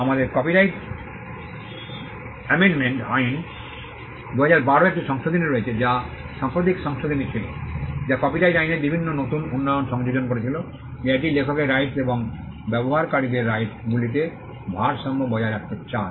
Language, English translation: Bengali, We have an amendment in 2012 the copyright amendment Act, 2012 which was a recent amendment, which incorporated various new developments in copyright law it seeks to balance the rights of the author’s, right holders and the users